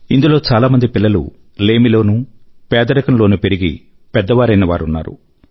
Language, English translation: Telugu, Many of these children grew up amidst dearth and poverty